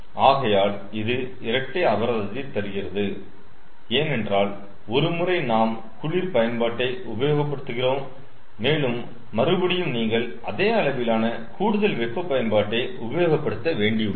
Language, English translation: Tamil, so it becomes double penalty, because once we are using cold utility and again you are using same amount of additional hot utility, so it becomes double penalty